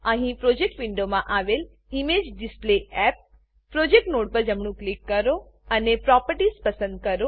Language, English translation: Gujarati, Here right click on the ImageDisplayApp projects Node in the Projects window, and choose Properties